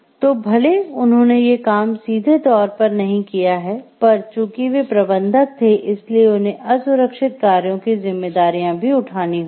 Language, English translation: Hindi, So, even if they have not done things directly, but because they are managers so, they have to worn up these responsibilities for this unsafe acts